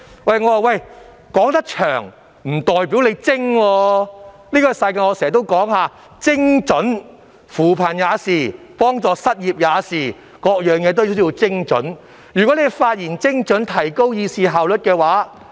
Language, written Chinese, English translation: Cantonese, 我經常說，這個世界講求精準，扶貧如是，援助失業也如是，凡事也要精準，如議員發言精準，便有助提高議會的議事效率。, I always say that precision is important in this world and this is the case with poverty alleviation and efforts made to provide assistance to the unemployed . Everything needs to be handled with precision . Precision in Members speeches is conducive to better efficiency of the proceedings of the Council